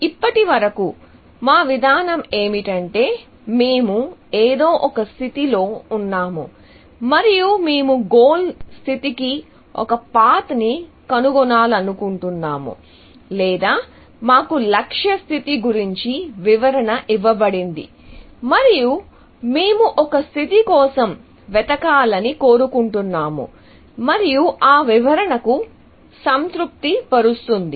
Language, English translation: Telugu, So far, our approach has been that we are in some given state, and we want to find a path to the goal state or something like that, or we are given a description of the goal state and we want to search for a state, which satisfies that description